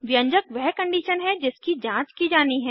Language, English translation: Hindi, The expression is the condition that has to be checked